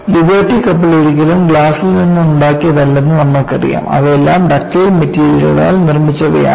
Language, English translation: Malayalam, You never made the Liberty ship out of glass; they were all made of ductile materials